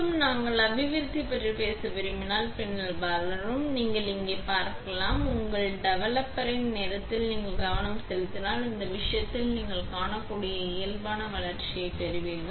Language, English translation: Tamil, And if we want to talk about developing, then developing, you can see here; if you are concentrating on your time of the developer, right then you will get the normal development as you can see in this case